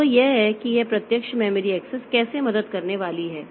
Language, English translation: Hindi, So, this is how this direct memory access is going to help